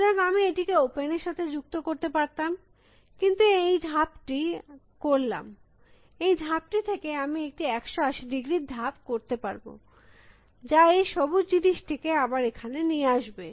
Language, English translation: Bengali, So, I have added it to open, but I have made this move, from this move I can make a 180 degree move, which will again bring the green thing here